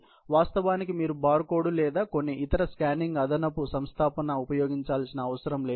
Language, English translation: Telugu, You need not actually, get a bar code or some other scanning, additional installation in place